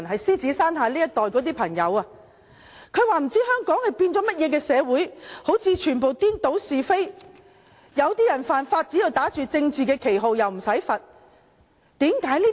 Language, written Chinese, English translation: Cantonese, 他們說不知道香港變成怎麼樣的社會，好像完全顛倒是非，一些人只要打着政治的旗號犯法，便無須受罰。, They had really emigrated as they said they did not know what kind of society had Hong Kong turned into where right and wrong seemed completely confused . There is no punishment for breaking the law under a political banner